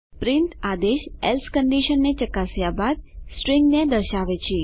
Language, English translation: Gujarati, print command displays the string after checking the else condition